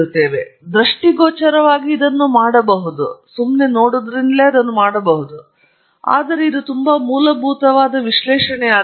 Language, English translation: Kannada, I can do this visually, but that’s going to be too rudimentary an analysis